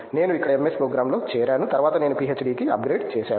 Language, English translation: Telugu, I joined MS program here and then I upgraded to PhD